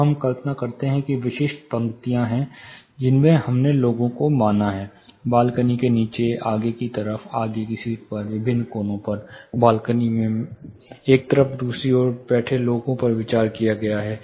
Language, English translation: Hindi, So, we imagine there are specific rows in which we have considered people sitting, below balcony, further extreme, front seat plus balcony at different corners say one side to the other side